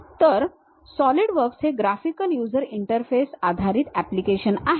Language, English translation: Marathi, So, Solidworks is a graphical user interface based application